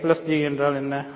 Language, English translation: Tamil, What is I plus J